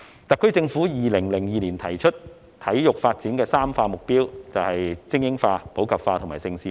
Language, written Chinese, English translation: Cantonese, 特區政府在2002年提出，體育發展的"三化"目標就是精英化、普及化和盛事化。, The SAR Government proposed in 2002 that the three goals of sports development are supporting elite sports promoting sports in the community and developing Hong Kong into a centre for major international sports events